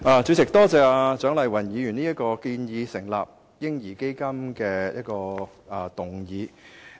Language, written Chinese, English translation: Cantonese, 主席，多謝蔣麗芸議員提出這項建議成立"嬰兒基金"的議案。, President I thank Dr CHIANG Lai - wan for proposing this motion on advocating the establishment of a baby fund